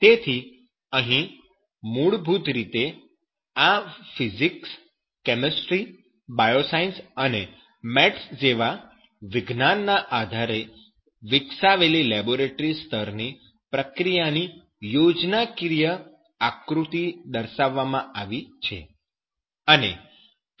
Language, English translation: Gujarati, So here one schematic diagram of that process is shown of that is basically the laboratory scale some process is developed based on those sciences like physics, chemistry, bioscience, and mathematics